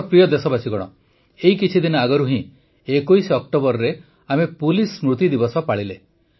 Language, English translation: Odia, just a few days ago, on the 21st of October, we celebrated Police Commemoration Day